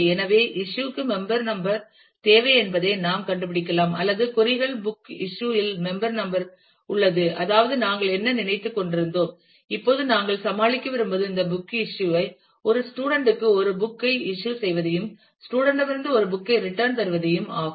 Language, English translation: Tamil, So, we can figure out that member number is needed for issue return or queries book issue has member number, that is; what we were thinking of; now when we want to deal with this book issue issuing a book to a student and returning a book from the student and soon